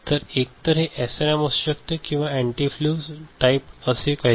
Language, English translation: Marathi, So, these can be of either SRAM or something called antifuse type ok